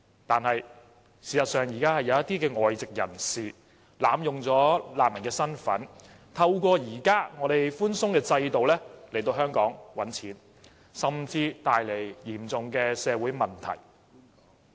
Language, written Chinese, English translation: Cantonese, 可是，事實上，現時有一些外籍人士濫用難民的身份，透過現時寬鬆的制度來香港賺錢，甚至帶來嚴重的社會問題。, But as a matter of fact some people of other nationalities are now taking advantage of their refugee status to abuse the lax screening mechanism in Hong Kong to make money here and they create serious social problems